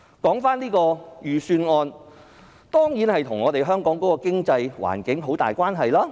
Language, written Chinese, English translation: Cantonese, 這份預算案當然與香港的經濟環境有很大關係。, This Budget is of course closely related to Hong Kongs economic environment